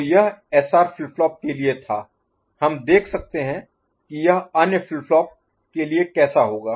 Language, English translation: Hindi, So this is for SR flip flop, so we can see how it would be for other flip flops ok